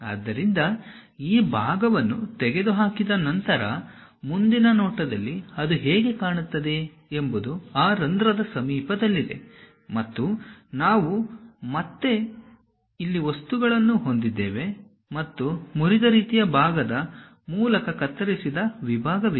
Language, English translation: Kannada, So, in the front view after removing that part; the way how it looks like is near that hole we will be having material and again here, and there is a cut section happen through broken kind of part